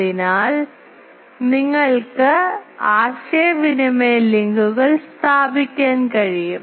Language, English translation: Malayalam, So, you can establish communication links etc